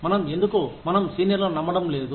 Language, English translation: Telugu, Why do we, not trust our seniors